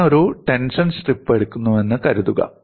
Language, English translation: Malayalam, Suppose I take a tension strip